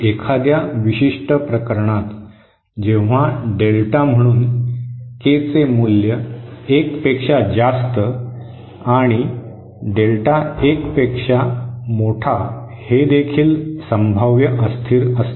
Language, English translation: Marathi, For a particular case when Delta so for K greater than 1 and mod Delta greater than 1 this is also potentially unstable